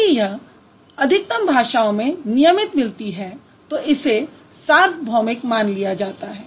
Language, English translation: Hindi, If it's found regularly available in most of the languages, that is considered to be sometimes a universal